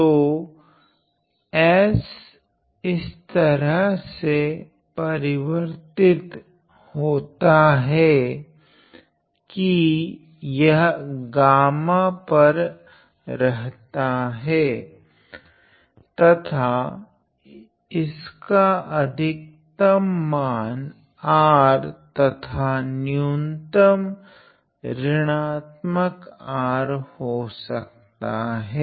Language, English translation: Hindi, So, s is varying from in such a way that it lies on gamma and s the maximum value of s could be R the minimum value of s is minus R